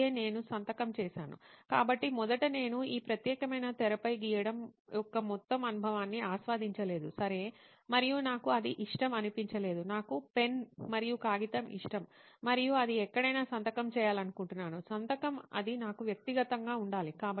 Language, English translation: Telugu, is that is that what I signed, so first of all I did not enjoy the whole experience of drawing on this particular screen, okay and I do not like it, I like a pen and paper and I want to sign somewhere if it is a signature it has to be that personal to me